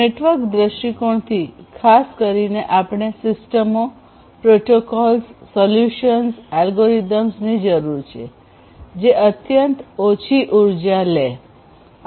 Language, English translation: Gujarati, So, from a network point of view specifically we need systems, we need protocols, we need solutions, we need algorithms, which will be consuming extremely low energy